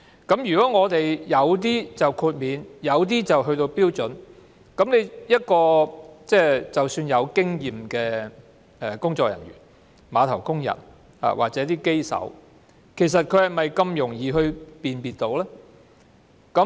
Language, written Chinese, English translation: Cantonese, 由於有些貨櫃獲得豁免，有些貨櫃則已符合標準，有經驗的工作人員、碼頭工人或機手是否這麼容易分辨？, If some containers will be granted exemption whereas others will have to comply with the standard will it be easy for experienced staff dockworkers or crane operators to tell the difference?